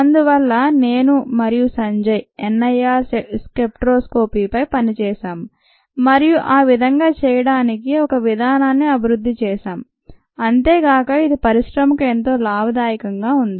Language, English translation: Telugu, so to do that, sanjay, i had worked on n i r spectroscopy and developed a method for doing that, and that obviously here was very beneficial to the industry